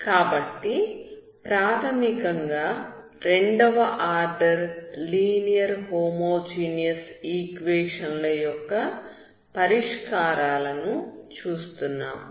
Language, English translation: Telugu, So basically homogeneous equations of second order linear equations